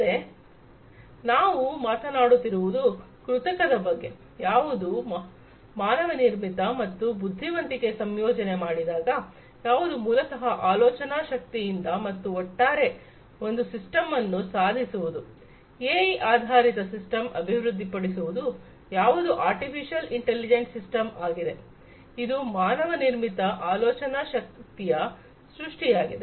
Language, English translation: Kannada, So, we are talking about artificial, which is manmade and integrating with the intelligence, which is basically the thinking power and together achieving a system, the development of the system an AI based system Artificial Intelligence system which is a creation of man made thinking power